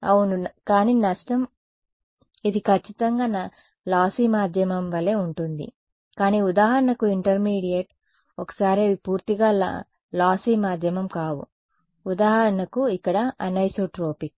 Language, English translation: Telugu, Yeah, but the loss yeah it will be exactly like a lossy medium, but for example, the intermediate once they will not be purely lossy medium they will anisotropic for example, here